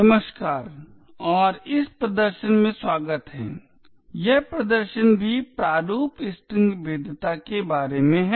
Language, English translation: Hindi, Hello and welcome to this demonstration, this demonstration is also about format string vulnerabilities